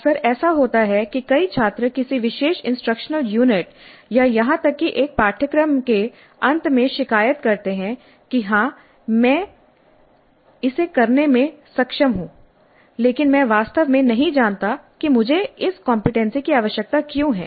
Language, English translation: Hindi, Quite often it happens that many students do complain at the end of a particular instructional unit or even a course that yes I am capable of doing it but I really do not know why I need to have this competency